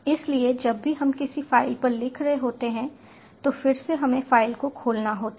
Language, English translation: Hindi, so whenever we are writing to a file again we have to open the file